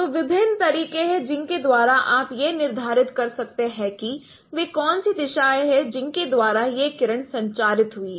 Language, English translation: Hindi, So, there are various ways by which you can determine what what is the directions by which this particular along which this ray has been transmitted